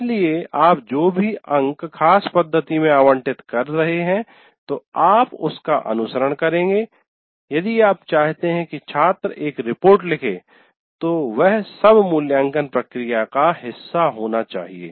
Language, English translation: Hindi, So whatever marks you are allocating, the rubrics you are following, if you want the student to write a report, all that should be part of the evaluation procedure